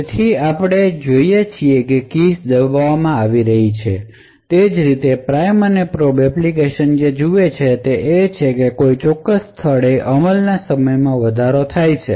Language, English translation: Gujarati, So, we see that as keys are being pressed what the prime and probe application sees is that there is an increase in execution time during a particular place